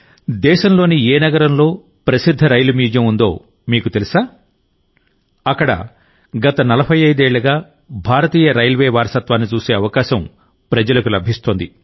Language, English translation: Telugu, Do you know in which city of the country there is a famous Rail Museum where people have been getting a chance to see the heritage of Indian Railways for the last 45 years